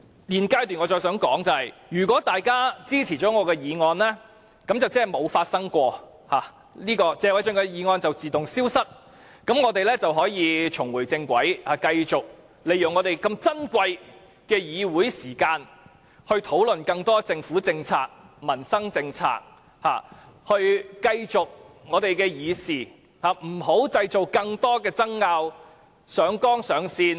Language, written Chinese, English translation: Cantonese, 現階段我想說的是，如果大家支持我的議案，便等於甚麼事都沒發生過，謝偉俊議員的議案會自動消失，我們也能重回正軌，繼續利用珍貴的議會時間討論更多政府政策、民生政策，繼續議事，不再製造更多爭拗，上綱上線。, At the present stage I would like to say that if Members support my motion it means nothing has ever happened . By then Mr Paul TSEs motion will disappear automatically and this Council will be back on the right track . We will continue to spend the precious time of this Council on discussions about government policies and initiatives affecting peoples livelihood